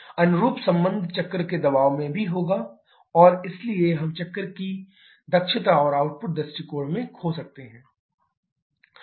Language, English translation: Hindi, Corresponding relation will be in the cycle pressure as well and therefore we can lose in the cycle efficiency and output point of view